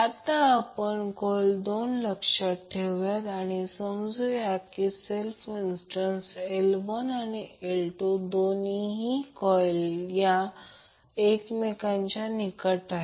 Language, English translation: Marathi, Now let us consider 2 coils and we assume that they have the self inductances L1 and L2 and both coils are placed in a close proximity with each other